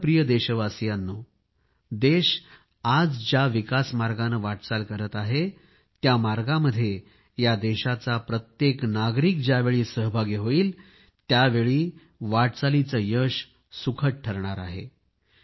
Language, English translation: Marathi, My dear countrymen, the country is on the path of progress on which it has embarked upon and this journey will only be comfortable if each and every citizen is a stakeholder in this process and traveller in this journey